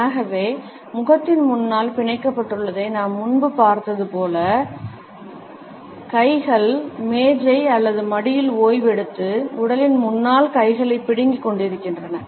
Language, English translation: Tamil, Hence as we have seen earlier clenched in front of the face, hands clenched resting on the desk or on the lap and while standing hands clenched in front of the body